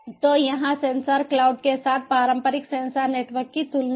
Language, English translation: Hindi, so here is a side by side comparison of traditional sensor networks with sensor cloud